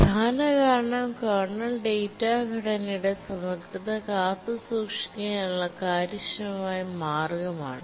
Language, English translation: Malayalam, The main reason is that it is an efficient way to preserve the integrity of the kernel data structure